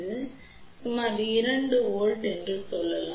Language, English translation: Tamil, So, let us say approximately 2 volt over here ok